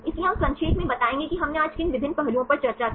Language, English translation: Hindi, So, we will summarize what are the various aspects we discussed today